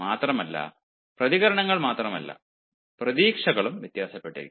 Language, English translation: Malayalam, and not only the reactions but the expectations also vary